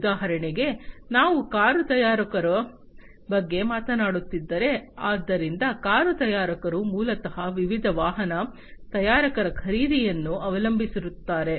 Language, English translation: Kannada, For example, you know if we are talking about a car manufacturer, so the car manufacturer basically heavily depends on the purchases from different automobile manufacturers